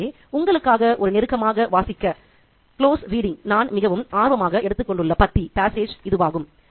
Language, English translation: Tamil, So, this is the passage that I'm really interested in in terms of doing a close reading for you